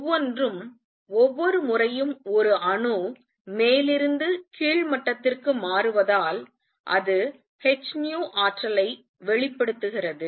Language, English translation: Tamil, And each one every time an atom makes a transition from upper to lower level it gives out energy h nu